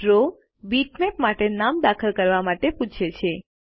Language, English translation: Gujarati, Draw prompts you to enter a name for the Bitmap